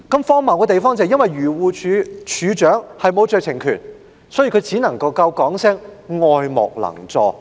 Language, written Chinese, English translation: Cantonese, 荒謬的是，漁護署署長由於沒有酌情權，所以只能表示愛莫能助。, More absurdly as DAFC did not have any discretionary power he could only express sympathies but could not do anything